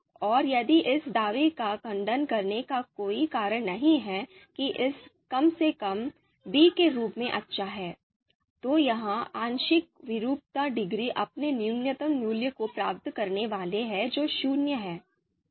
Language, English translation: Hindi, And if there is no reason to refute the assertion that a is at least as good as b, then this partial discordance degree is going to attain its minimum value that is zero